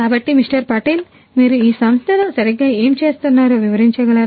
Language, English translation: Telugu, Patel could you please explain what exactly you do in this company